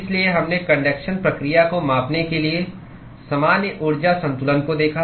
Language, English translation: Hindi, So, we looked at the general energy balance to quantify conduction process